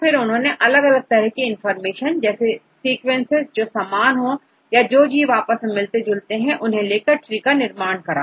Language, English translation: Hindi, So, then they try to use different types of information to infer the sequences which are similar to each other, the organisms which are similar to each other